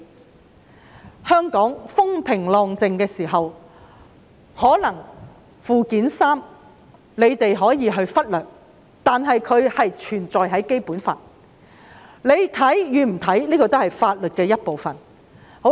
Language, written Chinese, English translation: Cantonese, 在香港風平浪靜時，我們可能忽略《基本法》附件三，但它卻確實存在於《基本法》之內，成為法律的一部分。, If everything goes smoothly in Hong Kong we may have neglected Annex III to the Basic Law but it does exist within the Basic Law and has become part of the law